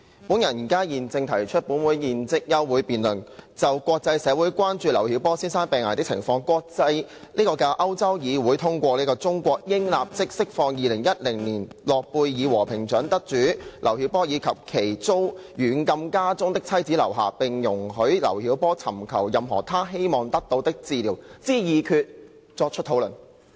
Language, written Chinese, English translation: Cantonese, 我現正提出本會現即休會待續的議案，以就國際社會關注劉曉波先生病危的情況及國際的歐洲議會通過"中國應立即釋放2010年諾貝爾和平獎得主劉曉波以及其遭軟禁家中的妻子劉霞，並容許劉曉波尋求任何他希望得到的治療"的決議，作出討論。, Now I move a motion for adjournment That the Council do now adjourn for the purpose of discussing the international communitys concern over Mr LIU Xiaobos critical health conditions and the international European Parliaments passage of a resolution which urges that China should immediately release Nobel Peace Laureate 2010 LIU Xiaobo and his wife LIU Xia who is under house arrest and allow LIU Xiaobo to receive any medical treatment he wishes